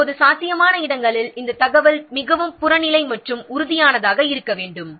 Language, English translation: Tamil, So, wherever possible, this information should be very much objective and tangible